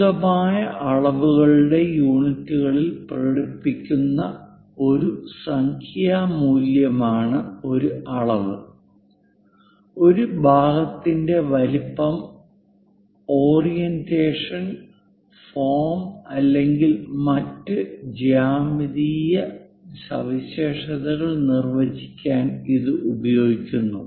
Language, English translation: Malayalam, A dimension is a numerical value expressed in appropriate units of measurement and used to define the size location, orientation, form or other geometric characteristics of a part